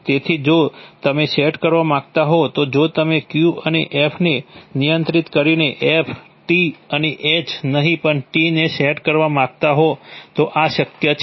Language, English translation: Gujarati, So therefore if you want to set, if you want to set T and not F, T and H by controlling Q & F this would be possible